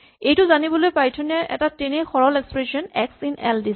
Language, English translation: Assamese, So, Python has a very simple expression called x in l